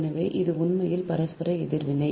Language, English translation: Tamil, so this is actually mutual reactance